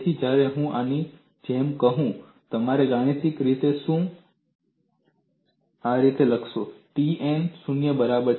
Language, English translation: Gujarati, So, when I say like this, mathematically I would write it like this T n equal to 0